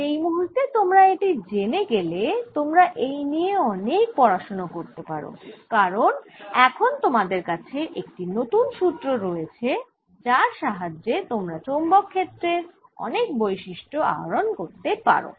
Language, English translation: Bengali, now you can have in lot and lot of more studies because now you have a formula from which you can derive various properties of magnetic field